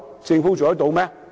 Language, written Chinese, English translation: Cantonese, 政府做得到嗎？, Can the Government manage to do so?